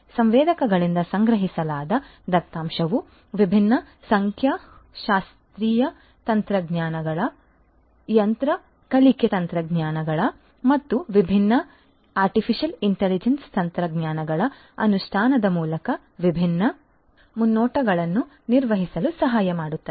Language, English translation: Kannada, The data that are collected from the sensors can help in performing different predictions through the implementation of different statistical techniques, machine learning techniques, different AI techniques and so on